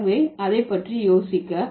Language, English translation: Tamil, So, think about it